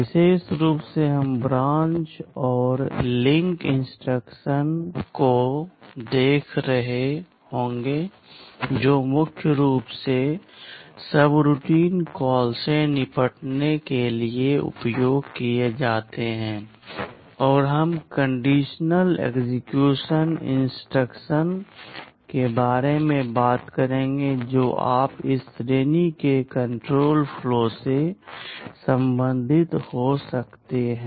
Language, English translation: Hindi, In particular we shall be looking at the branch and link instruction that are primarily used for handling subroutine calls, and we shall talk about the conditional execution instruction that you can also regard to be belonging to this category control flow